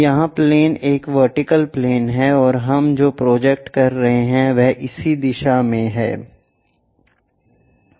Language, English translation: Hindi, Here the plane is a vertical plane and what we are projecting is in this direction we are projecting